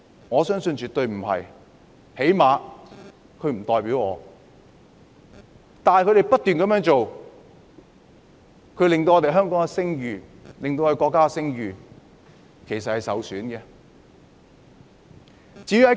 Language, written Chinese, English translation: Cantonese, 我相信絕對不是，最低限度他們不代表我；但他們不斷這樣做，其實是會令香港的聲譽和國家的聲譽受損的。, I think the answer is absolutely no for at least they do not represent me . But when they keep behaving in such a way actually the reputation of Hong Kong and the reputation of the country will be tarnished